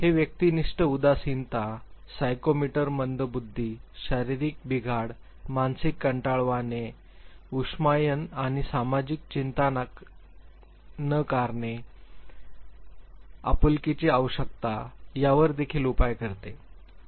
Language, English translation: Marathi, It also measures subjective depression, psychomotor retardation, physical malfunctioning, mental dullness, brooding, and denial of social anxiety, need for affection